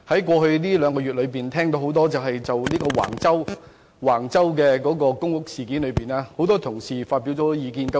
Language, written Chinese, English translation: Cantonese, 過去兩個月，我欣然聽到很多同事就橫洲公屋事件發表不少意見。, In the past two months I am pleased to see that many colleagues have actively expressed their views on the public housing developments at Wang Chau